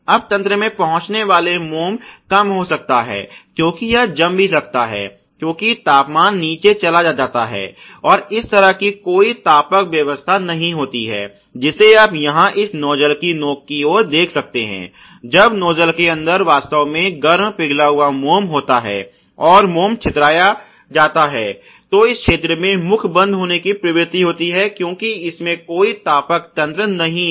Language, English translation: Hindi, Now the wax feeded into the system can also get, you know lower I mean it can also solidify, because temperature goes down and there is no heating arrangement as such which you can see here towards the tip of this nuzzle; once the nuzzle the actually has the heated up molten wax, and the wax is dispensed there is a tendency that this particular region this orifice here can be clogged, because you know the it does not have any heating mechanism clogged